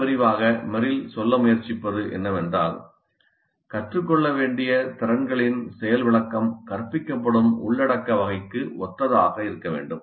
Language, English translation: Tamil, Very broadly what Merrill is trying to say is that the demonstration of the skills to be learned must be consistent with the type of content being taught